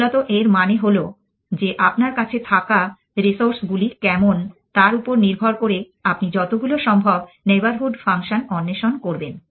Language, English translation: Bengali, Essentially, this means that depending on how were the resources you have you will explore it as many of this neighborhood function as possible essentially